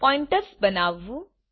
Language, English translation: Gujarati, To create Pointers